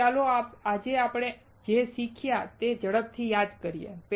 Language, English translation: Gujarati, So, let us quickly recall what we learnt today